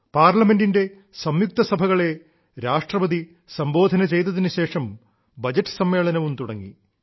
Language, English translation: Malayalam, Following the Address to the joint session by Rashtrapati ji, the Budget Session has also begun